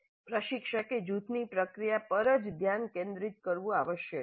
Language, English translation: Gujarati, Instructor must also focus on the process of group itself